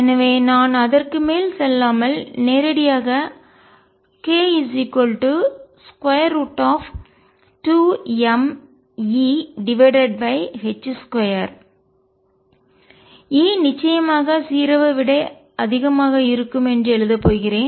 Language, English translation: Tamil, So, I am not going to go over it and write directly that k is square root of 2 m E over h cross square, E of course, is greater than 0